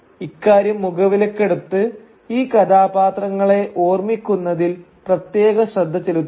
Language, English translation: Malayalam, So please take note of that and take special care in remembering these characters